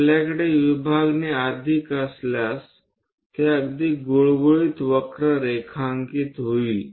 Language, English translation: Marathi, If we have more number of divisions, the curve will be very smooth to draw it